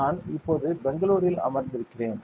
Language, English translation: Tamil, So, I am sitting in Bangalore right now